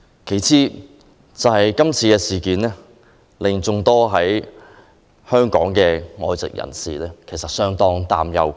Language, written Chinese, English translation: Cantonese, 其次，今次事件令眾多在香港的外籍人士相當擔憂。, Besides this incident has aroused grave concern among the numerous foreigners staying in Hong Kong